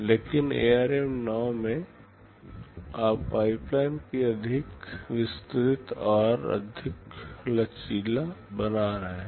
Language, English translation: Hindi, But in ARM 9, you are making the pipeline more elaborate and more flexible